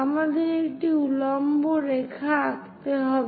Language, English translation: Bengali, We have to draw a perpendicular line